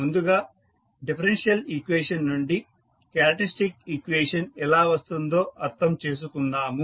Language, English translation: Telugu, So, first we will understand how we get the characteristic equation from a differential equation